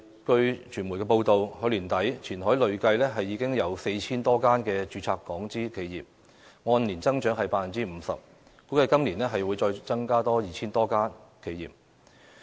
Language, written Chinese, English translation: Cantonese, 據傳媒報道，截至去年年底，前海累計已有 4,000 多家註冊港資企業，按年增長約 50%， 估計今年將再增加 2,000 多家企業。, According to media reports some 4,000 Hong Kong - invested enterprises have been registered in Qianhai as at the end of last year an increase of about 50 % year - on - year . It is estimated that the number of Hong Kong - invested enterprises will increase by over 2 000 this year